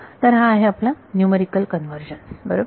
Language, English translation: Marathi, So, that is our numerical convergence right